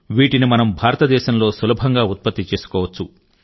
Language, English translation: Telugu, Their substitutes can easily be manufactured in India